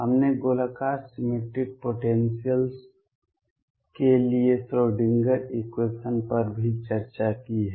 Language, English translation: Hindi, We have also discussed Schrödinger equation for spherically symmetric potentials